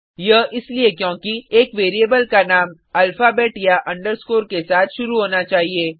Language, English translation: Hindi, This is because a variable name must only start with an alphabet or an underscore